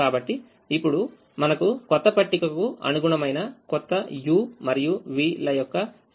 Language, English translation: Telugu, so now we have a new set of u's and v's which correspond to the new table